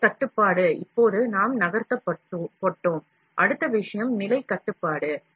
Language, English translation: Tamil, Position control, now we are moved, the next thing is, position control